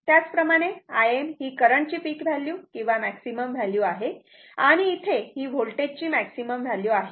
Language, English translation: Marathi, Similarly, I m is the peak value of the current or maximum value of the current and here it is maximum value of the voltage